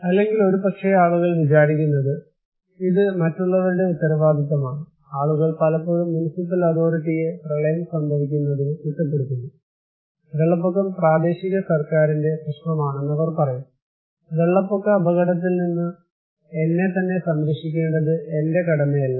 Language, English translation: Malayalam, Or maybe people think that okay, it is also the responsibility of others like, people often blame the municipal authority for getting flood, they said that flood is an the issue of the local government, it is not my duty to protect myself against flood risk